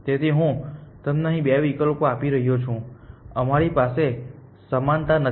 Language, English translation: Gujarati, So, I am giving you two options here include some we do not have equality